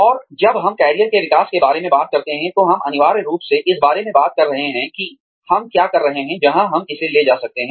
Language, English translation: Hindi, And, when we talk about, career development, we are essentially talking about, learning more about, what we are doing, in terms of, where it can take us